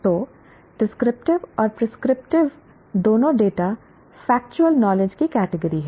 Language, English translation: Hindi, So, both descriptive and prescriptive data belong to the category of factual knowledge